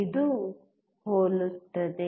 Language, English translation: Kannada, It is similar